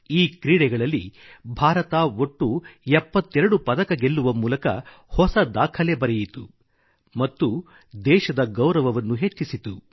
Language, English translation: Kannada, These athletes bagged a tally of 72 medals, creating a new, unprecedented record, bringing glory to the nation